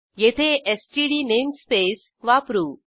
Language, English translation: Marathi, Here we are using std namespace